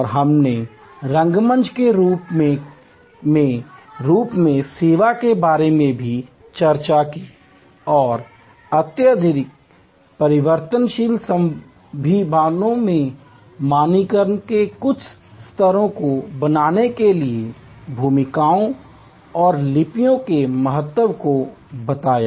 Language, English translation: Hindi, And also we discussed about service as a theater the metaphor of theater and the importance of roles and scripts to create some levels of standardization in highly variable possibilities